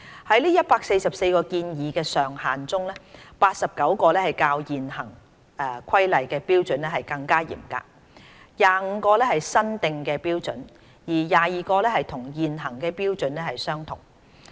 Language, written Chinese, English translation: Cantonese, 在144個建議上限中 ，89 個較現行《規例》的標準更嚴格 ，25 個是新訂的標準，而22個與現行標準相同。, Among the 144 proposed maximum levels 89 levels are more stringent than the existing standards in the Regulations 25 levels are newly established standards and 22 levels are the same as the existing standards